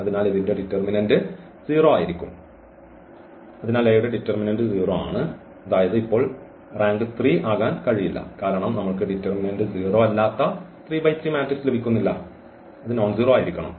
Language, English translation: Malayalam, So, the determinant of A is 0; that means, now the rank cannot be 3 because we are not getting this 3 by 3 matrix, it should be nonzero the determinant should be nonzero then the rank will be 3 So, now the rank will be less than 3